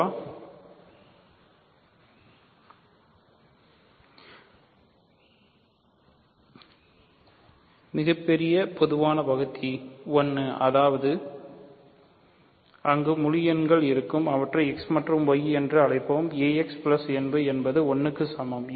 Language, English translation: Tamil, Right the gcd: greatest common divider is 1; that means, there exist integers let us call them x and y such that ax plus ny is equal to 1